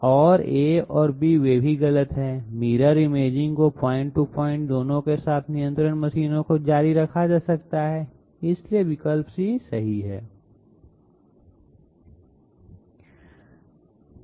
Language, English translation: Hindi, And A and B they are also wrong, Mirror imaging can be carried out both in point to point as well as continues control machines, so option C is correct